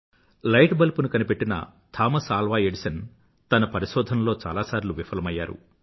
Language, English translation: Telugu, Thomas Alva Edison, the inventor of the light bulb, failed many a time in his experiments